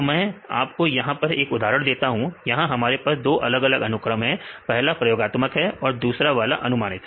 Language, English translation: Hindi, So, I give one example here; so, here we have the two different sequences; one is the experimental and the other one is predicted